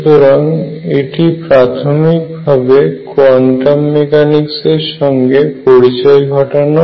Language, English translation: Bengali, So, we started with how quantum mechanics started